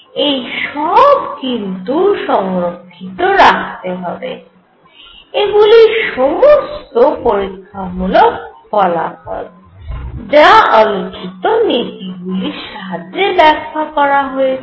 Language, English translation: Bengali, All these things should be preserved these are experimental facts, which were explained using these principles which are being stated